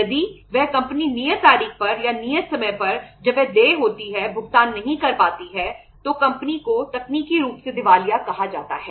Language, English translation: Hindi, If that company is not able to make the payment on due date or on the due time as and when it is due then the company is called as technically insolvent